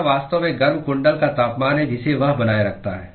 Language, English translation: Hindi, It is actually the temperature of the heating coil that it maintains